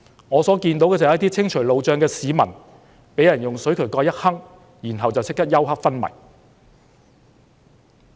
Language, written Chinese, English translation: Cantonese, 我看到的"私了"，是一些清除路障的市民被人用水渠蓋襲擊，然後即時休克昏迷。, The vigilantism I saw was that a citizen who cleared the roadblocks was attacked with manhole covers and went into coma immediately